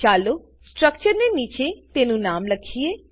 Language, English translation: Gujarati, Lets write its name below the structure